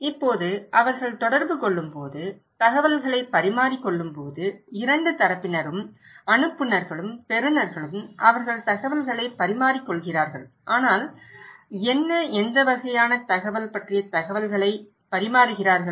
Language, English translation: Tamil, Now, when they are communicating, exchanging informations, two parties, senders and receivers, they are exchanging information but information about what, what kind of information